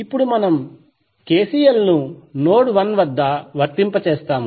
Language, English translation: Telugu, Now we will apply the KCL and node 1